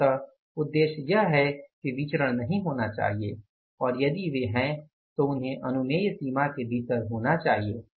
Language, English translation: Hindi, Ultimately, the objective is the variances should be not there and if they are there they should be within the permissible range